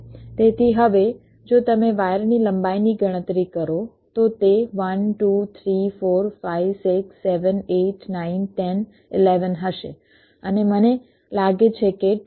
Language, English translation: Gujarati, so now, if you calculate the wire length, it will be one, two, three, four, five, six, seven, eight, nine, ten, eleven and i think twelve, so it becomes twelve